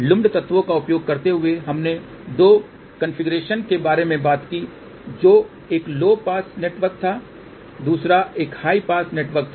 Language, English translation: Hindi, Using lumped elements we talked about two configurations one was low pass network another one was high pass network